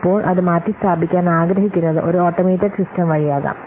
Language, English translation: Malayalam, Now it wants to replace it may be through one automated system